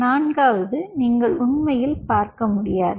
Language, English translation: Tamil, ok, a fourth one you really cannot see